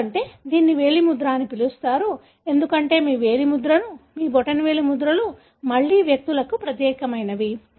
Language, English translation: Telugu, That’s why it’s called as fingerprinting, because your finger prints, your thumb prints again are unique to individuals